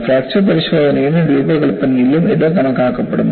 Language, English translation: Malayalam, And this is accounted for, in fracture testing and design